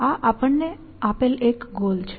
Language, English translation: Gujarati, So, this is a goal given to us